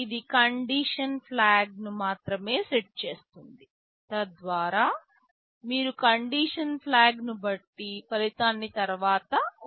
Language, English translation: Telugu, It only sets the condition flag so that you can use that result later depending on the condition flag